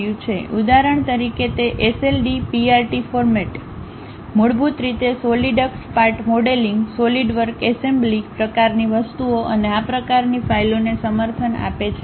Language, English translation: Gujarati, For example it supports its own kind of files like SLDPRT format, basically Solidworks Part modeling, solid work assembly kind of things and so on